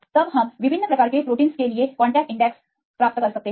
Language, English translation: Hindi, Then we can get the multiple contact index right for different types of proteins